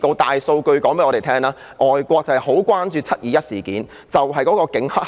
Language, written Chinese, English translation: Cantonese, 大數據告訴我們，外國很關注"七二一"事件中有否警黑合作。, Big data tells us that overseas countries are very concerned about whether the Police were in cahoots with the triads in the 21 July incident